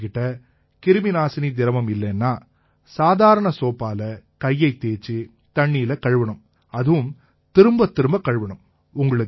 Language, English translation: Tamil, If you do not have sanitisation, you can use simple soap and water to wash hands, but you have to keep doing it frequently